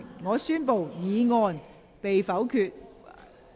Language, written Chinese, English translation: Cantonese, 我宣布議案被否決。, I declare the motion negatived